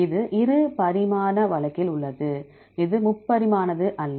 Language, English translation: Tamil, It is in the two dimensional case, this is not the three dimensional one